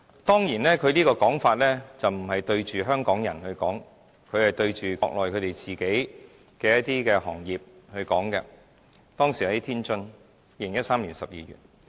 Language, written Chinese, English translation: Cantonese, 當然，他講話的對象不是香港人，而是國內的一些行業，當時是2013年12月，他身處天津。, His remark was made in December 2013 when he was in Tianjin so his audience was of course not Hong Kong people but some Mainland industries